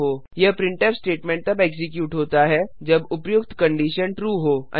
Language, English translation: Hindi, This printf statement is executed if the above condition is true